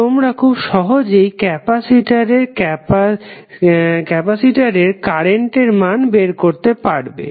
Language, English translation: Bengali, So, you can easily calculate the value of current I for capacitor